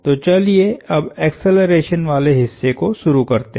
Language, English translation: Hindi, So now let us get the acceleration part going